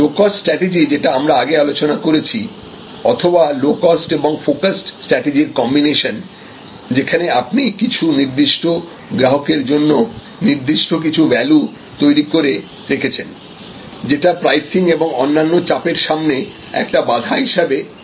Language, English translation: Bengali, The low cost strategy that we discussed earlier or low cost and focus combination, where you will be able to create a bundle of values for a certain segment of customers by virtual of which you will be able to shield your pricing from different types of other pressures